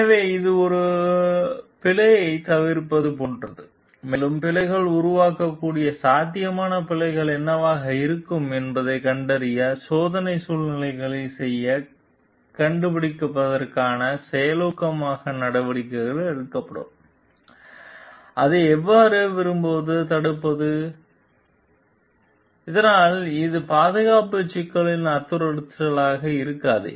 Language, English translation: Tamil, So, this is like avoid error and also to take proactive measures to find out to do test situations to find out what could be the possible errors which can produce bugs and how to like prevent it so that this may not make a threat to the safety issues